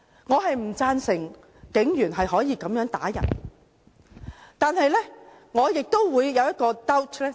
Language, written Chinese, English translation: Cantonese, 我不贊成警員可以如此打人，但我亦有 doubt。, I do not agree with police officers beating others but I also have doubts